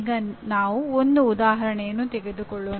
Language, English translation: Kannada, Now let us take an example